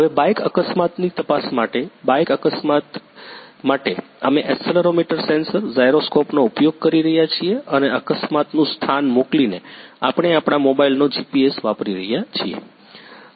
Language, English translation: Gujarati, Now, for bike accident for checking the bike accident, we are using accelerometer sensor, gyroscope and sending the location of the accident happened; we are using GPS of our mobile